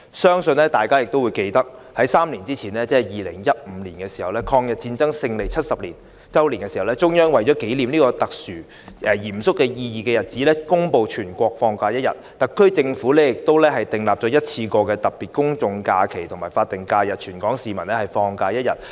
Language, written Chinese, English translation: Cantonese, 相信大家也記得，在3年前，即2015年，抗日戰爭勝利70周年時，中央為了紀念這個具特殊及嚴肅意義的日子，公布全國放假1天，而特區政府亦訂立了一次性的特別公眾假期及法定假日，讓全港市民放假1天。, I believe all of us remember that three years ago in 2015 to commemorate the 70 anniversary of the victory of the Chinese Peoples War of Resistance against Japanese Aggression which was a special and solemn day the Central Authorities announced that it would be designated as a national holiday and the SAR Government also designated that day as a one - off special public holiday and statutory holiday for Hong Kong people